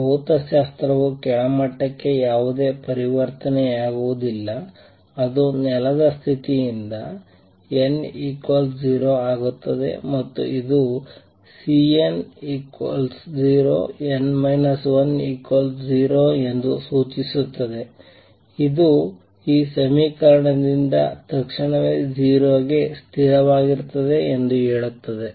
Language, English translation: Kannada, Physics is no transition to lower level takes place from the ground state that is n equal to 0 and this implies that C n equal to 0 n minus 1 should be equal to 0, which immediately tells you from this equation that constant is equal to 0